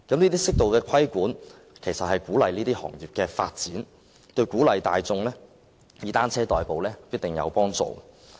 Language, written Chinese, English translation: Cantonese, 這些適度的規管其實可鼓勵行業的發展，對鼓勵大眾以單車代步亦必定有幫助。, An appropriate degree of regulation can actually encourage the development of the industries . It will definitely be conducive to encouraging the public to commute by bicycles